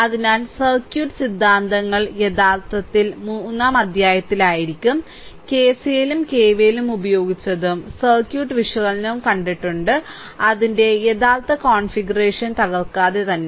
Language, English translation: Malayalam, So, circuit theorems actually in chapter 3, we have seen that sometime we have used KCL and KVL right, and circuit analysis and you are tampering with this original your what you call without tampering its original configuration right